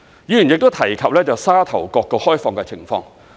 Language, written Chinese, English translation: Cantonese, 議員亦提及沙頭角的開放情況。, Members also talked about the opening up of Sha Tau Kok